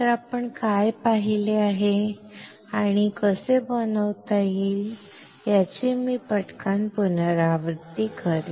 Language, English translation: Marathi, So, let me quickly repeat what we have seen and how can fabricate